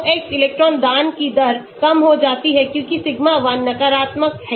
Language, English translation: Hindi, So, X electron donating rate goes down because sigma 1 is negative